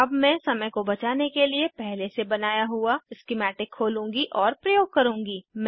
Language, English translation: Hindi, I will now open and use this already made schematic to save time